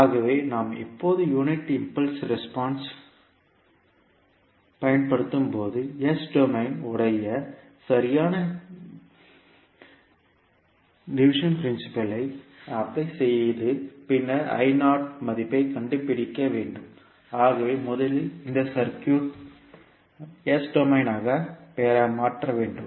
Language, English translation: Tamil, So when we use the unit impulse response what we have to do we apply the correct division principle in s domain and find the value of I naught so let us first convert this circuit into s domain